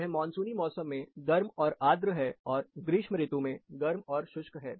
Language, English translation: Hindi, It is hot and humid, during the monsoon season, it is hot and dry, during summers, it gets to warm and humid